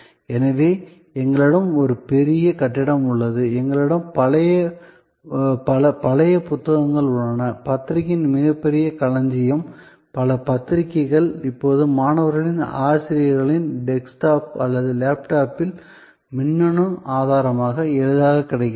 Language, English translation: Tamil, So, we have a huge building and we have many old books, a huge repository of journals, many journals are now available as electronic resource, easily available on the desktop or laptop of students, faculty